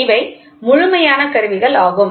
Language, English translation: Tamil, So, these are absolute instruments